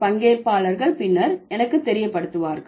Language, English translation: Tamil, I don't know, the participants would let me know later